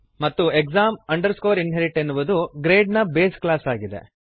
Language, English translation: Kannada, And exam inherit is the base class for class grade